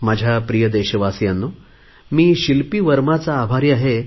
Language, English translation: Marathi, My dear countrymen, I have received a message from Shilpi Varma, to whom I am grateful